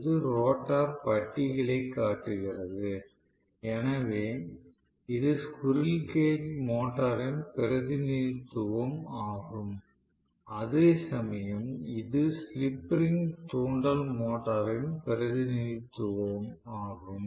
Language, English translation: Tamil, This is essentially showing the rotor bars, so this the representation of cage induction motor, whereas this is the slip ring induction motor representation okay